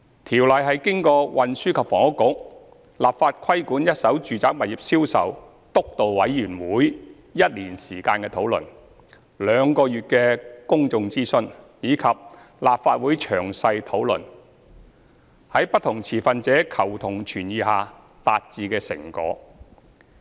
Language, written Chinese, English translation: Cantonese, 《條例》是經過運輸及房屋局"立法規管一手住宅物業銷售督導委員會 "1 年討論、兩個月公眾諮詢，以及立法會詳細討論，在不同持份者求同存異下達致的成果。, The Ordinance is the result of a years discussion in the Steering Committee on the Regulation of the Sale of First - hand Residential Properties by Legislation set up under the Transport and Housing Bureau a two - month public consultation exercise and thorough discussions in the Legislative Council during which different stakeholders deliberated on the matter along the spirit of consensus building while respecting differences